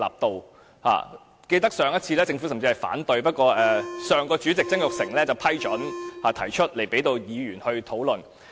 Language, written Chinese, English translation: Cantonese, 我記得上次政府甚至反對，不過上屆立法會主席曾鈺成批准提出這項修正案，讓議員討論。, I remember that last time the Government even opposed the admissibility of the CSA but Jasper TSANG President of the Legislative Council of the last term ruled that the CSA was admissible and Members could discuss accordingly